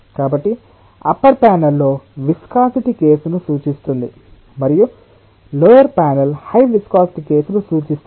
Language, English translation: Telugu, so the upper panel represents the case with low viscosity and the lower panel case represents a case with high viscosity